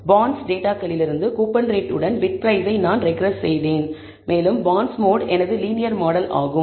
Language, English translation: Tamil, So, I had regressed BidPrice with coupon rate from the data bonds and bondsmod was my linear model